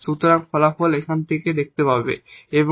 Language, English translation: Bengali, So, that is the result we are talking about here